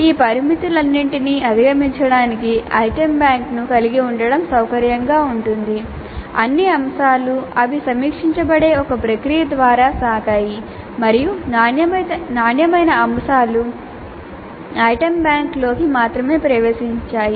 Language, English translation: Telugu, Now in order to overcome all these limitations it would be convenient to have an item bank which has been curated which has gone through where all the items have gone through a process by which they are reviewed and the quality items only have entered the item bank